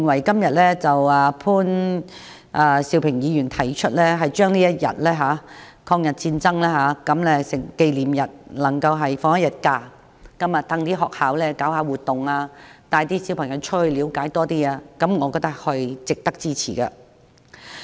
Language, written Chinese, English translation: Cantonese, 所以，潘兆平議員今天提出就抗日戰爭勝利紀念日放假一天，讓學校舉辦活動，帶小朋友到外面了解多一點，我覺得是值得支持的。, Therefore I think Mr POON Siu - pings proposal today for designating the Victory Day as a holiday is worth supporting because schools can then organize extracurricular activities for students to learn more about history